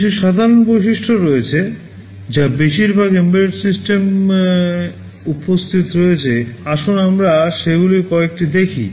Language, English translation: Bengali, There are some common features that are present in most embedded systems, let us look at some of them